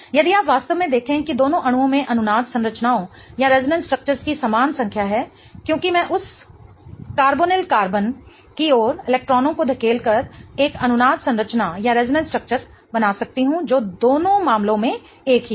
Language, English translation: Hindi, If you really see both the molecules have equal number of resonance structures because I can create a resonance structure by pushing electrons towards that carbonyl carbon, which is the same case in both the cases